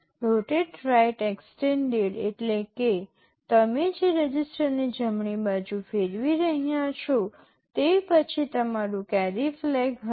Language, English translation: Gujarati, Rotate right extended means the register you are rotating right, then there will be your carry flag